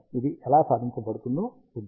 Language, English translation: Telugu, We will see how this is achieved